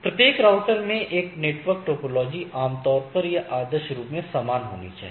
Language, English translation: Hindi, The network topology in each router is typically or ideally should be same right, each router should be same